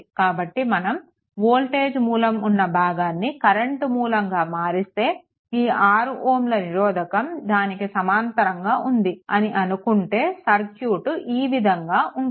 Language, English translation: Telugu, So, if you convert this one to a this portion to a current source and a 6 ohm in parallel then look how the circuit will look like right